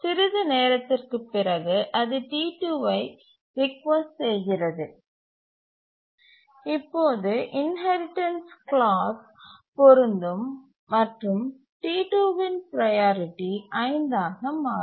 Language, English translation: Tamil, And after some time it requests T2 and in this case the inheritance clause will apply and the priority of T2 will become 5